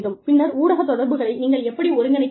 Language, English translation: Tamil, Then, how do you coordinate, media relations